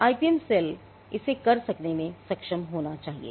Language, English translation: Hindi, The IPM cell should be seen as a can do it